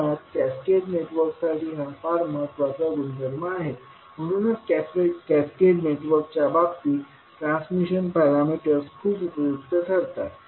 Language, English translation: Marathi, This is basically very important property for the transmission the cascaded network that is why makes the transition parameters very useful in case of cascaded network